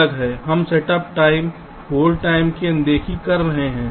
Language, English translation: Hindi, we are ignoring setup time, hold time